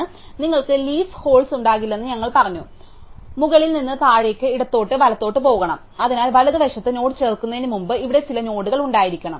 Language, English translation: Malayalam, So, we said that you cannot leaf holes, you must go top to bottom left to right, so there should be some node here, before you add the node in the right